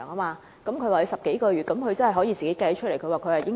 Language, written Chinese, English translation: Cantonese, 他說有10多個月，這數目真的可以計算出來。, He said it would be over 10 months and that could be derived through simple calculation